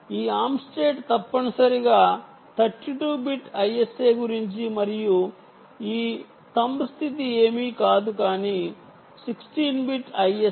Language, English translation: Telugu, this arm state essentially is all about the thirty two bit i s a and this thumb state is nothing but the sixteen bit um, sixteen bit i s a